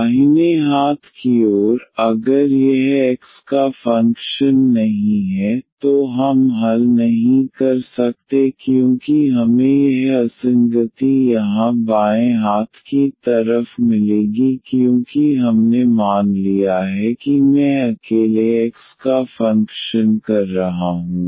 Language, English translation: Hindi, The right hand side, if this is not a function of x then we cannot solve because we will get this inconsistency here the left hand side because we have assumed that I is a function of x alone